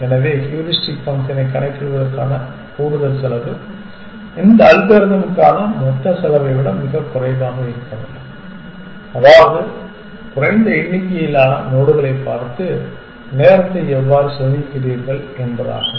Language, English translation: Tamil, So, the extra cost of computing the heuristic function must be much less than the total time save for this algorithm which means that how do you save time by seeing a fewer number of nodes